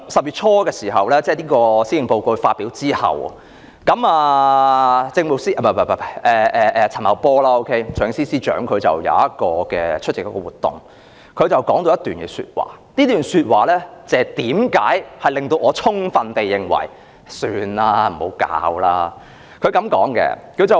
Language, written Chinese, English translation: Cantonese, 不過，行政長官在10月初發表施政報告後，財政司司長陳茂波出席一個活動時說了一番話，這番話令我充分地認為還是算了吧，不要發債了。, While there may not be such a need Financial Secretary Paul CHAN made some remarks when attending an event after the Chief Executive had presented her Policy Address in early October . His remarks made me think absolutely that let us forget it bonds should not be issued